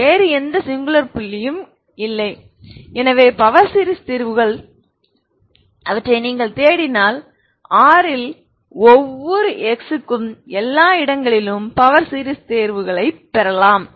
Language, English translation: Tamil, There is no other singular point so power series solutions if you look for you can get the power series solutions everywhere for every x in R, ok